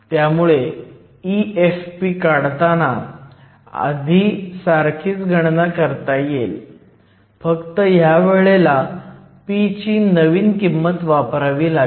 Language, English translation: Marathi, So, E F p we can repeat the calculation that we did before, except using the new values of p